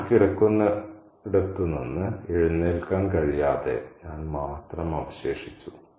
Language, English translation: Malayalam, Only I remained unable to get up from where I was lying